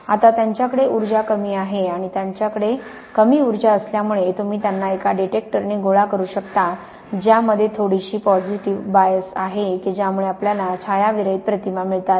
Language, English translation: Marathi, Now, they have a low energy and because they have a low energy this means that you can collect them with a detector which has a slight positive bias and this give us what is called a shadowless image